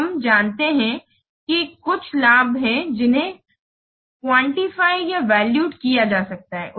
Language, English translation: Hindi, So, we have known that there are some benefits which can be quantified and valued